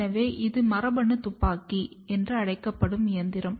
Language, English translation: Tamil, So, I will just show you the machine over here which is called as gene gun